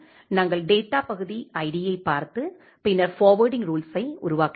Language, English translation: Tamil, We are looking into the data part id and then generating the forwarding rule